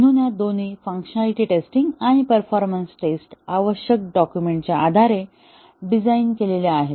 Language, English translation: Marathi, So all these tests are both functionality and performance tests are designed based on the requirements document